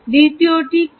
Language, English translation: Bengali, the third one